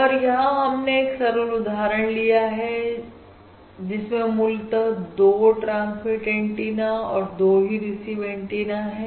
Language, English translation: Hindi, let us say, to consider a simple example, this basically has 2 transmit antennas and also 2 receive antennas